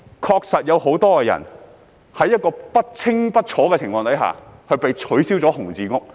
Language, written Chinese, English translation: Cantonese, 確實有很多人在不清不楚的情況下被取消"紅字屋"。, It is indeed true that many people have had their red - category squatter structures deregistered without their knowledge